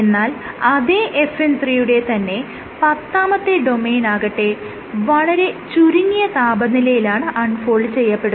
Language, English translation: Malayalam, And tenth domain of FN 3, it unfolds at a lower temperature